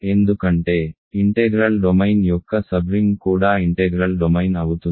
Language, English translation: Telugu, This is because a sub ring of an integral domain, is also an integral domain right